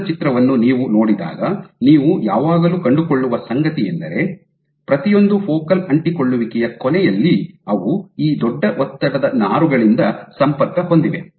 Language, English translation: Kannada, So, when you see an image of a cell what you will always find is there are, at the end of each of the focal adhesions they are connected by these big stress fibers